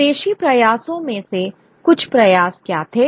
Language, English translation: Hindi, What were some of the indigenous efforts